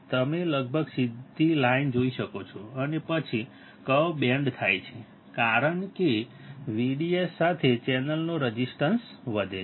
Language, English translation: Gujarati, I D you can see almost a straight line and then, the curve bends as the channel resistance increases with V D S